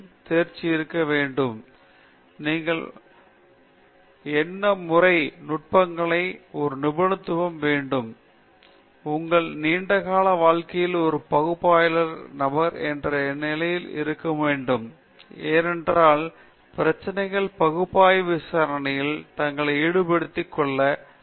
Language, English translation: Tamil, For example, if it is thermal sciences, you should have a mastery of analytical techniques; you should have a mastery of numerical techniques; you should have a mastery of experimental techniques, because in your long life, you cannot stay as just an analytical person, because the problems which are available, which lend themselves to analytical investigation are slowly going down